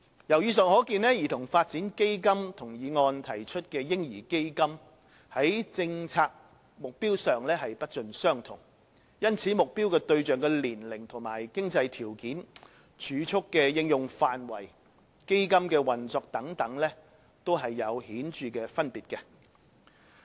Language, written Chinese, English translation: Cantonese, 由以上可見，兒童發展基金與議案提出的"嬰兒基金"，在政策目標上不盡相同，因此，目標對象的年齡和經濟條件、儲蓄的應用範圍及基金的運作等，也有顯著分別。, From this Members can see that CDF and the baby fund proposed in the motion are different in their policy objectives . This is why there are also marked differences in the age and financial conditions of target participants the use of the savings the operation of the fund and so on